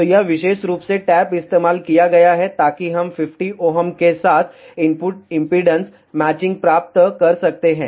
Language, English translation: Hindi, So, this particular tap has been used, so that we can get input impedance matching with 50 ohm